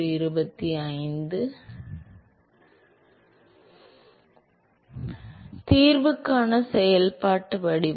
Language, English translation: Tamil, So, the functional form